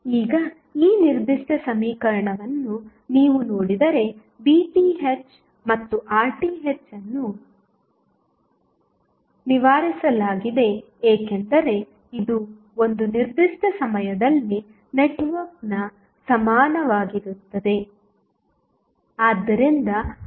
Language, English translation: Kannada, Now, if you see this particular equation Pth and Rth is fixed because this is network equivalent at 1 particular point of time